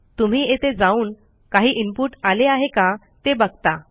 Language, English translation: Marathi, So you go up to here and see if anything has been entered as input